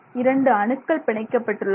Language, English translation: Tamil, This is a single atom that is two atoms